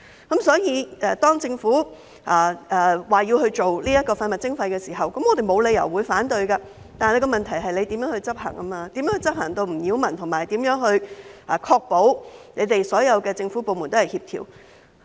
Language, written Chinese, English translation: Cantonese, 因此，當政府提出推行廢物徵費時，我們沒有理由反對，但問題在於如何執行，如何在執行上不擾民，並確保所有政府部門也協調。, Therefore when the Government proposes to implement waste charging we have no reason to oppose it . Yet the problem lies in implementation that is how the implementation would not cause nuisance to the public and to ensure that all government departments would coordinate their efforts